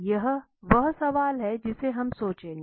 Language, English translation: Hindi, that is a question that we will think